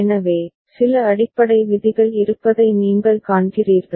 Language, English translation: Tamil, So, you see there are some basic rules